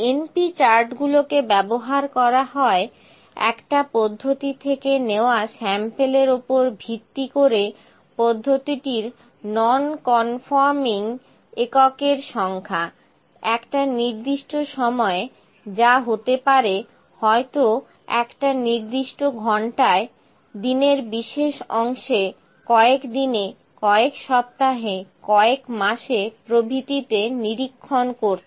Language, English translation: Bengali, np charts is used to monitor the number of non conforming units of a process based on samples taken from the processes at a given time maybe at specific hours, shifts, days, weeks, months, etc